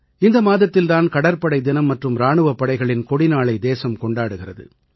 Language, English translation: Tamil, This month itself, the country also celebrates Navy Day and Armed Forces Flag Day